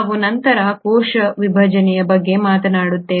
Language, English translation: Kannada, We will talk about cell division later